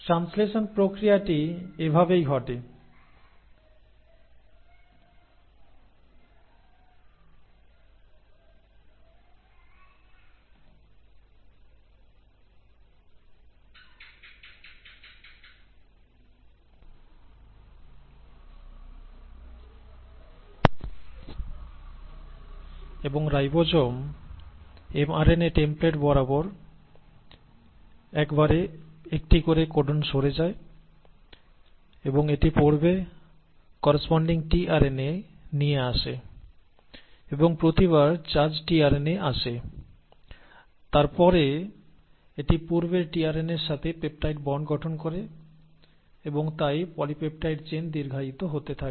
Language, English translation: Bengali, So this is how the process of translation happens and the ribosome keeps sliding one codon at a time and along the mRNA template and reads it, brings in the corresponding tRNA and every time the charged tRNA comes, it then forms of peptide bond with the previous tRNA and hence the polypeptide chain keeps on getting elongated